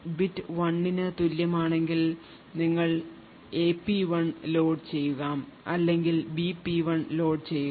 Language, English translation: Malayalam, If the bit equal to 1 then you load a P1 else load B P1